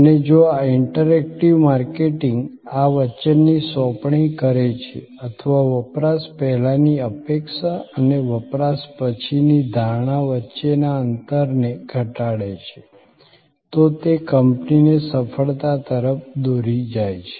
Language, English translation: Gujarati, And if this interactive marketing this delivery of the promise or narrowing of the gap between the pre consumption expectation and post consumption perception happen successfully it leads to the company success